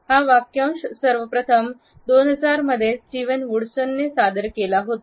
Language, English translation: Marathi, The phrase was first all introduced by Stevens Woods in 2009